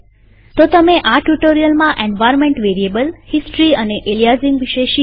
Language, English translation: Gujarati, So, in this tutorial, you have learned about environment variables, history and aliasing